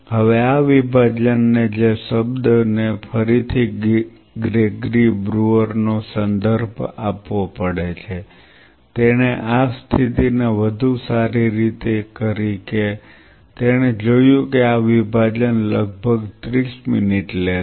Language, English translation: Gujarati, Now, this dissociation which again the word has to be referred to Gregory brewer, he optimized the condition he found that this dissociation more or less takes around 30 minutes